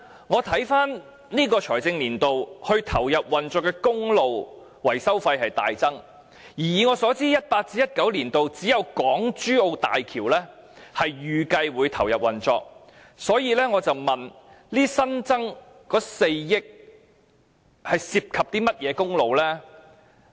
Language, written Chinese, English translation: Cantonese, 我看回今個財政年度，路政署投入運作的公路維修費大增，而以我所知 ，2018-2019 年度只有港珠澳大橋預計會投入運作，所以，我詢問這新增的4億元涉及甚麼公路？, When I looked at the current financial year I found that the maintenance cost of the roads to be commissioned by the Highways Department had skyrocketed and as far as I know in 2018 - 2019 only the HZMB is expected to be commissioned . Therefore I enquired about which roads were involved in the newly added 400 million